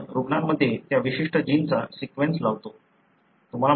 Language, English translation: Marathi, We go and sequence that particular gene in the patient